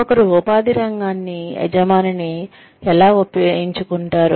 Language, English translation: Telugu, How does one select a field of employment, and an employer